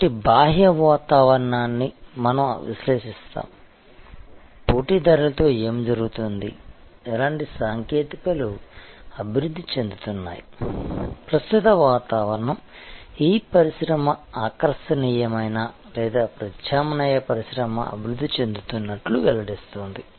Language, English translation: Telugu, So, we analyze the external environment we analyze things like, what is happening with the competitors, what sort of technologies are developing, weather this industry reveals remaining attractive or alternate industry is developing